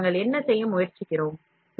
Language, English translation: Tamil, So, what are we trying to do